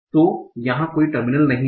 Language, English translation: Hindi, So there is no terminal